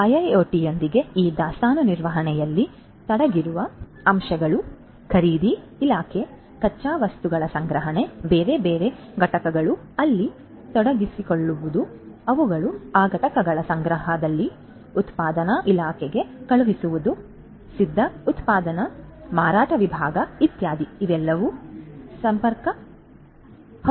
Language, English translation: Kannada, So, with IIoT all these different things the components that are involved in this inventory management such as, this you know the purchasing department, the raw materials procurement, different other components getting involved there you know they are stocking of those components etcetera, sending to the production department, finished product sales department etcetera everything can become connected